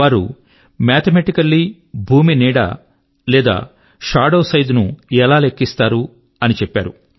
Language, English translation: Telugu, Mathematically, he has described how to calculate the size of the shadow of the earth